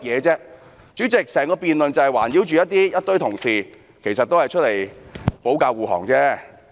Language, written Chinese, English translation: Cantonese, 主席，在整項辯論中，某群同事其實只是在保駕護航。, President during the whole debate a certain group of Honourable colleagues were only defending the Government